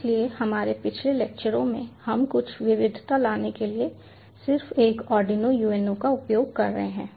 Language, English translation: Hindi, so in our previous lectures we use an arduino uno just for the sake of bringing in some variety